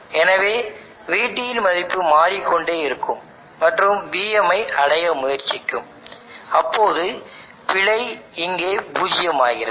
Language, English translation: Tamil, So the value of VT will keep changing and try to reach VM such that error here becomes zero